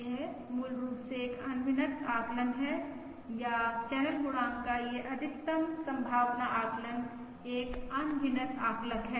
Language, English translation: Hindi, This is basically an unbiased estimate, or this maximum likelihood estimate of the channel coefficient is an unbiased estimator